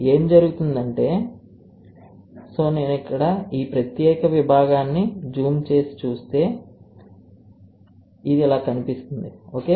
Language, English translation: Telugu, What will happen is, so if I zoom this particular part it will look like this, ok